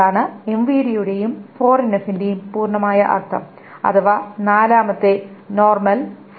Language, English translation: Malayalam, That is the whole point of the MVD and the fourth 4NF the fourth normal form